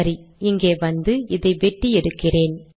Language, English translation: Tamil, Okay let me come here, cut this